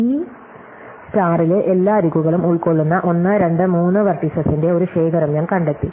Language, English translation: Malayalam, So, now I have found a collection of 1, 2, 3 vertices which cover all the edges in this graph